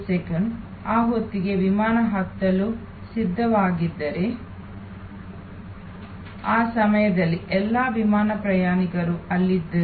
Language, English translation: Kannada, 11 the flight is ready to board by that time all the plane passengers at there at that point of time